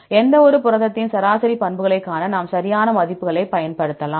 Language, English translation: Tamil, We can use exact values to see the average property of any protein